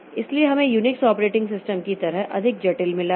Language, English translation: Hindi, So we have got more complex like Unix operating system